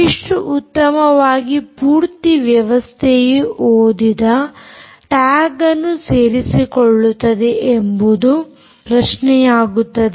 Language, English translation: Kannada, how, how well does the whole system cover all the tags being read is the question